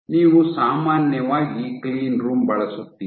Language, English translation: Kannada, So, you use typically a cleanroom